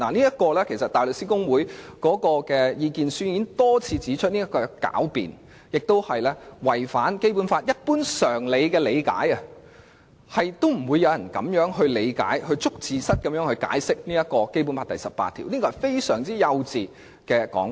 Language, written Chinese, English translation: Cantonese, 香港大律師公會的意見書已多次指出這是狡辯，有違《基本法》一般常理的理解，不會有人以這種"捉字蝨"的方式理解和解釋《基本法》第十八條，並認為這是非常幼稚的說法。, As pointed out time and again in the statements issued by the Hong Kong Bar Association this is sheer sophistry and is at odds with peoples general understanding of the Basic Law because Article 18 will not be read and construed in a way like a play on words . It therefore considers such a remark very naïve